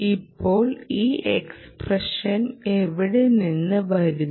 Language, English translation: Malayalam, now, where is this term coming from